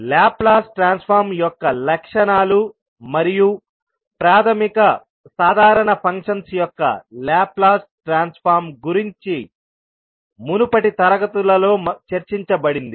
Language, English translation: Telugu, Now, properties of the Laplace transform and the Laplace transform of basic common functions were discussed in the previous classes